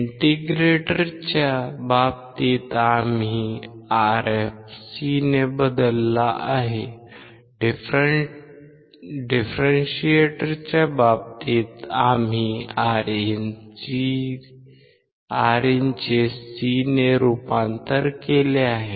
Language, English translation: Marathi, In case of integrator we have changed Rf by C; in case of differentiator we have converted Rin by C